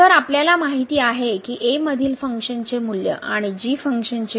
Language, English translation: Marathi, So, we know that the value of the function at ; and the value of the function